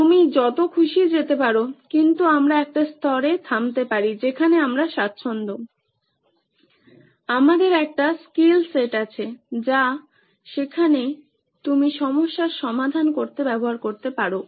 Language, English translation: Bengali, You can go as many as you want, but we can stop at a level where we are comfortable, we have a skill set, that you can use to solve the problem there